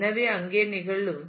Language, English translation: Tamil, So, those will occur here